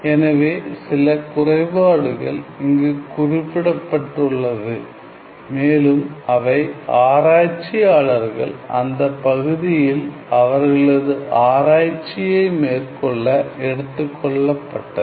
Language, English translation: Tamil, So, some of these deficiencies that were mentioned and also noted by many of the researchers working in this area